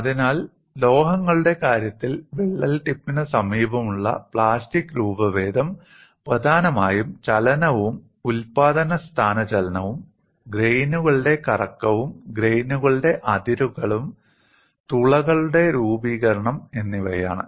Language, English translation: Malayalam, So, in the case of metals, the plastic deformation in the vicinity of the crack tip is caused mainly by motion and generation of dislocations, rotation of grains and grain boundaries, formation of voids, etcetera